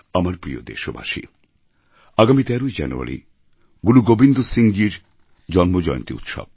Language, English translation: Bengali, My dear countrymen, January 13 is the date ofthe sacred festival observed in honour of Guru Gobind Singh ji's birth anniversary